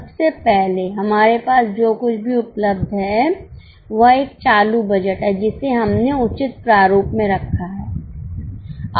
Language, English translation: Hindi, Firstly, whatever is available with us is a current budget we have put it in proper format